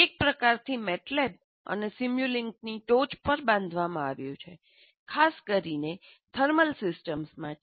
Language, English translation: Gujarati, So it's a kind of built on top of MATLAB and simulink, but specifically for thermal systems